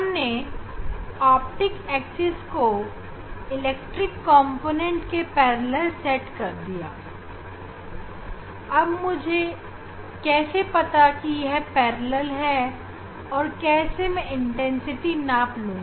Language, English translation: Hindi, we have set optics axis parallel to this; parallel to this electric component of this polarized light ok; how I will know this is it s a parallel and how I will measure the intensity of light